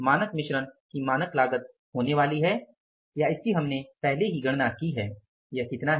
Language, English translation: Hindi, Standard cost of standard mix is going to be or which we have already calculated is how much that is 68